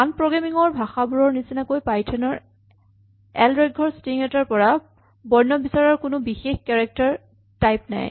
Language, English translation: Assamese, Unlike other programming languages, python does not have a specific character type to distinguish a single character from a string of length 1